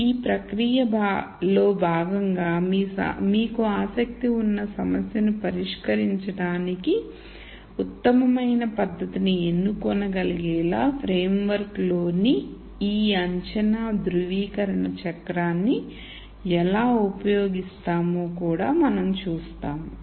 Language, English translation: Telugu, And as part of that process, we will also see how we use this assumption validation cycle within the framework to be able to choose the best technique to solve the problem that you are interested in